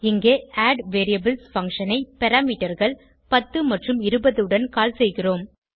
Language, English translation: Tamil, Here, we are calling addVariables function with parameters 10 and 20